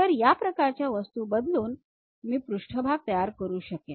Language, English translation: Marathi, So, varying these kind of objects I will be in a position to construct a surface